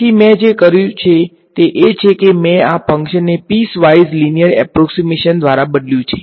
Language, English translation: Gujarati, So, what I have done is I have replaced this function by piece wise linear approximation